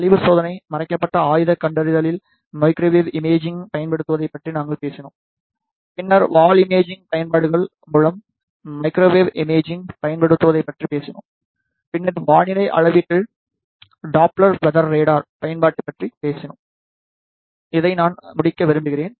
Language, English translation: Tamil, We saw the identification of corrosion in steel bars after that we talked about the application of microwave imaging in concealed weapon detection, then we talked about the application of microwave imaging in through wall imaging applications, then we talked about the application in the weather measurement using the Doppler weather radar with this I would like to conclude